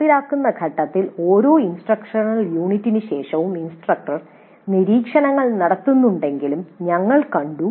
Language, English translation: Malayalam, Then we also noted during the implement phase that after every instructional unit the instructor makes observations